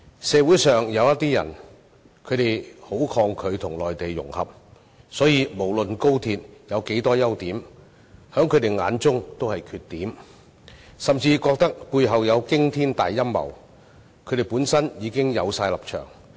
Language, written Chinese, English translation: Cantonese, 社會上有些人很抗拒與內地融合，所以無論廣深港高速鐵路有多少優點，在他們眼中也是缺點，甚至認為背後有驚天大陰謀，本身已有既定立場。, Some people in society strongly resist integration with the Mainland . For this reason no matter how many merits the Guangzhou - Shenzhen - Hong Kong Express Rail Link XRL has they having a predetermined stance see them as demerits or even consider that there is a sinister plot behind it